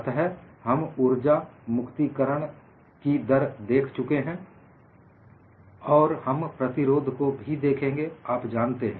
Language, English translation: Hindi, So, we have seen the energy release rate and you will also look at the resistance